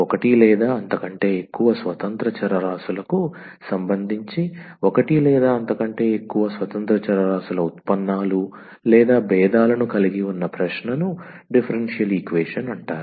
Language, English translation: Telugu, So an question which involves the derivates or the differentials of one or more independent variables with respect to one or more independent variables is called differential equation